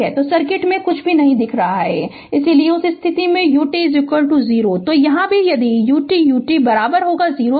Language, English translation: Hindi, So, nothing is showing in the circuit, so in that case u t is equal to 0